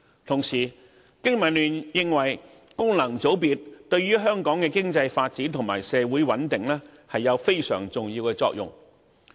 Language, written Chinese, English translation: Cantonese, 同時，經民聯認為，功能界別對香港的經濟發展和社會穩定有非常重要的作用。, Meanwhile BPA considers functional constituencies highly conducive to the economic development and social stability of Hong Kong